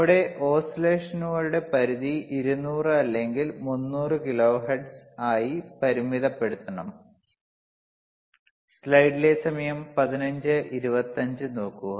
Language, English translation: Malayalam, wWe have to limit our range of oscillations to around 200 or 300 kilo hertz very easy so for as you see right now